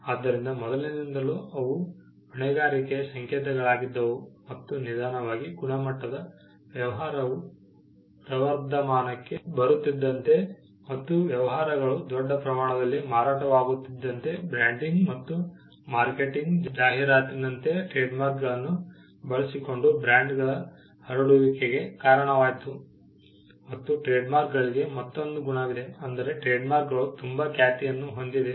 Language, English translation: Kannada, So, earlier they were symbols of liability and slowly they moved to take a new function that of quality and as business is flourished and as businesses became to be marketed on a large scale, and as branding and marketing an advertising led to the spread of brands using trademarks there was a another quality that came in for trademarks, that trademarks were type two reputation